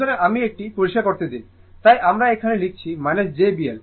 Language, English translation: Bengali, So, let me clear it so, that is why here we are writing minus jB L